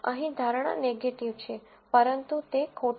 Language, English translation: Gujarati, Here, the prediction is negative, but that is wrong